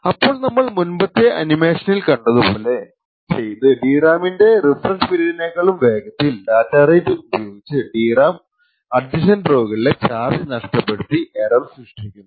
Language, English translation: Malayalam, Now as we have seen in the previous animations doing so within at a rate much faster than the refresh period of the DRAM would cause the adjacent rows to lose charge and induce errors and falls in the adjacent rows